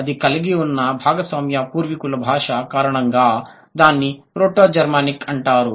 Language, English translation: Telugu, Because of the shared ancestral language that they have, which is proto Germanic